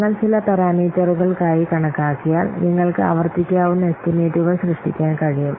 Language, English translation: Malayalam, So, once you estimate for some parameter, you can generate repeatable estimations